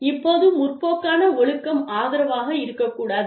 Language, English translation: Tamil, Now, progressive discipline, may not necessarily be supportive